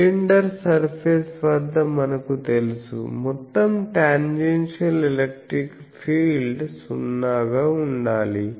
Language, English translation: Telugu, Now, what is E z s, we know at the cylinder surface, the total tangential electric field should be 0